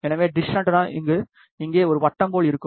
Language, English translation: Tamil, So, dish antenna will look like a circle here